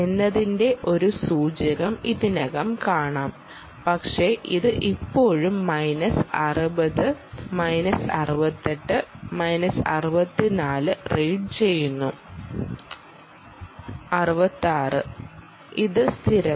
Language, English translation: Malayalam, there it goes, but it still reads minus sixty, minus sixty eight, minus sixty four, sixty six